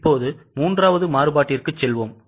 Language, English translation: Tamil, Now we will go to the third variance